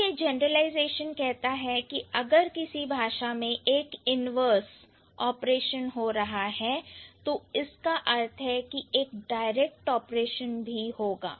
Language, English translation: Hindi, So, the generalization says that if there is at least one inverse operation is there in any given language, that would imply that the direct operations are also there